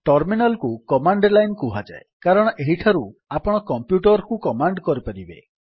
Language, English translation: Odia, Terminal is called command line because you can command the computer from here